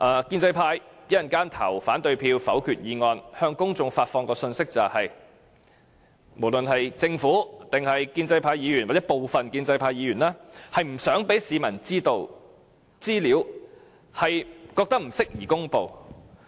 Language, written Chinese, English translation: Cantonese, 建制派稍後如果投反對票否決議案，將會向公眾發放的信息是，政府、建制派議員或部分建制派議員不想讓市民知道的資料是不宜公布的。, If the pro - establishment camp vote against the motion such that it is negatived the message they send to the public will be that the information and materials that the Government and the pro - establishment Members or some of the pro - establishment Members do not want the citizens to have are not suitable for disclosure